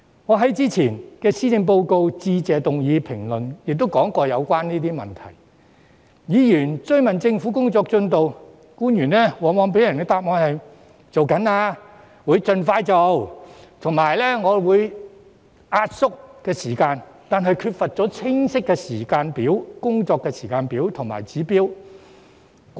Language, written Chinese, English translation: Cantonese, 我在先前的施政報告致謝議案辯論時曾提及有關的問題，每當議員追問政府的工作進度，官員往往在答覆時表示正在進行、會盡快做及會壓縮時間，但缺乏清晰的工作時間表和指標。, I touched upon the relevant matters at the previous Motion of Thanks debate in respect of the Policy Address . When Members asked about the progress government officials often replied that the work was in progress and would be expeditiously implemented with shortened lead time but they failed to provide clear schedules and indicators